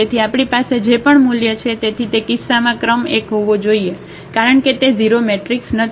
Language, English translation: Gujarati, So, whatever value we have, so the rank has to be 1 in the that case because it is not the 0 matrix